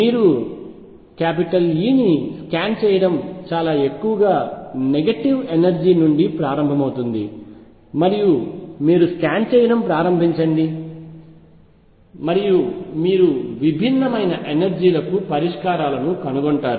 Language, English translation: Telugu, You scan over E start from a very largely negative energy and you start scanning and you will find solutions for different energies